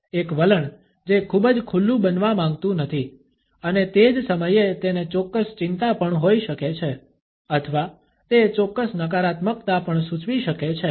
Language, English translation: Gujarati, An attitude which does not want to become very open and at the same time it may also have certain anxiety or it may also indicate certain negativity